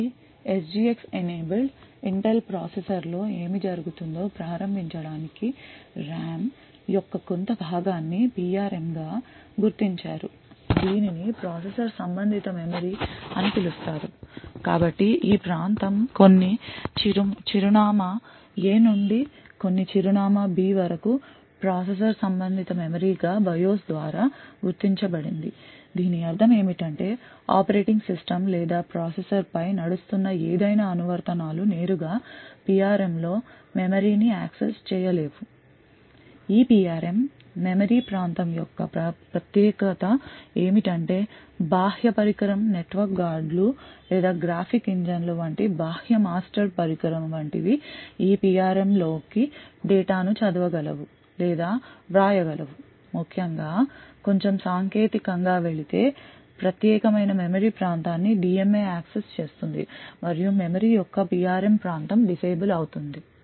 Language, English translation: Telugu, So to start off with what happens in an SGX enabled Intel processor is that some portion of the RAM is marked as PRM so this is known as a Processor Related Memory so this area let us say some from some address A to some address B is marked by the BIOS as a processor related memory so what this means is that the operating system or any applications running over the processor would not directly be able to access the memory in the PRM also the specialty of this PRM region of memory is that no external device like no external master device such as network guards or graphic engines and so on would be able to read or write the data to this PRM essentially going a bit more technical the DMA accesses to this particular region of memory that is PRM region of memory is disabled